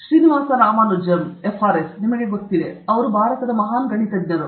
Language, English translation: Kannada, Srinivasa Ramanujam FRS, you know, one of the India’s great mathematicians